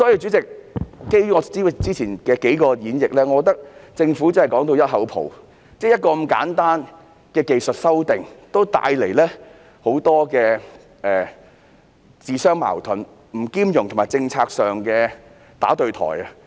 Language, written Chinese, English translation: Cantonese, 主席，基於我之前的數個論點，我認為政府真是說到"一口泡"，如此簡單的技術性修訂也這樣自相矛盾、不兼容和政策上"打對台"。, President based on my previous arguments I think the Government is really doing a messy job . It has made such a simple technical amendment self - contradictory incompatible and inconsistent with the policy